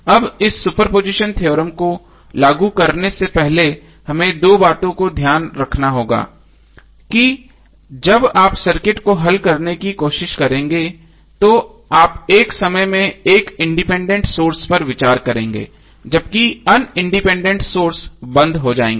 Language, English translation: Hindi, Now before applying this super position theorem we have to keep 2 things in mind that when you try to solve the circuit you will consider only one independent source at a time while the other independent sources are turned off